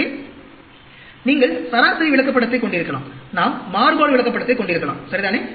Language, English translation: Tamil, So, you can have average chart, we can have variation chart, ok